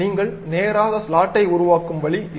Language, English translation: Tamil, This is the way you construct a straight slot